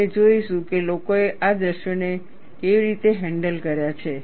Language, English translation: Gujarati, We will see, how people have handled these scenarios